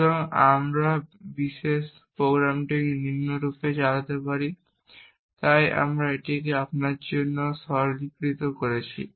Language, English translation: Bengali, So we could run this particular program as follows, so we have simplified it for you